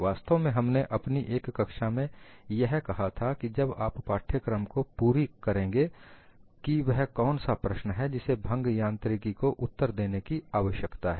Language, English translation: Hindi, In fact, in one of the classes I raised when you complete this course, what are the questions that fracture mechanics need to answer